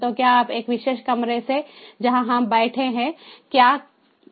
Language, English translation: Hindi, so what can be done is, you know, from from a particular room where we are sitting